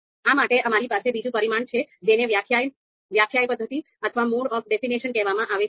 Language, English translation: Gujarati, For that, we have another you know another parameter which is called mode of definition